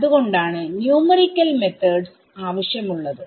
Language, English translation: Malayalam, That is why you have numerical methods